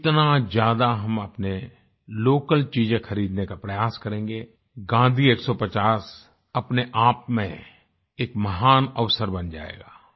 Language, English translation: Hindi, The more we try to buy our local things; the 'Gandhi 150' will become a great event in itself